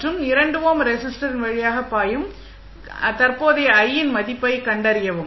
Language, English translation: Tamil, And find out the value of current I which is flowing through the 2 ohm resistor